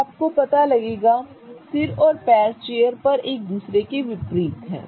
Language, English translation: Hindi, So, in order for you to locate a head and the legs are opposite to each other on the chair